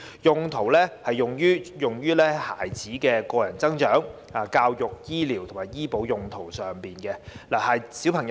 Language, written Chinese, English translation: Cantonese, 基金可用於孩子的個人增值、教育、醫療及醫保用途上。, The funds in his account can then be used to meet his needs for self - enhancement education healthcare and health insurance